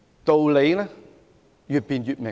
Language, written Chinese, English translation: Cantonese, 道理越辯越明。, Truth can be ascertained through debate